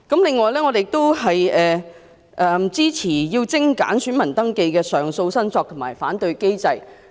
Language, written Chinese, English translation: Cantonese, 另外，我們支持精簡選民登記的上訴、申索及反對機制。, Moreover we support the streamlining of the appeal claim and objection mechanism relating to voter registration